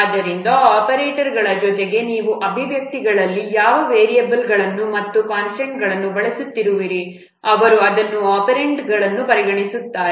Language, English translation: Kannada, So what variables and constants you are using in the expressions they are treated as operands